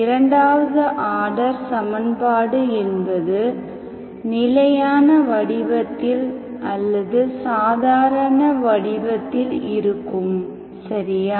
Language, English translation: Tamil, So that is an equation, second order equation in standard form or in normal form, okay